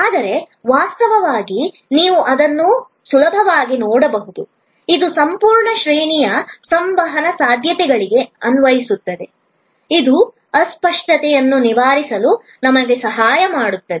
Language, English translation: Kannada, But, actually you can easily see that, this will apply to the entire range of communication possibilities, that can help us overcome intangibility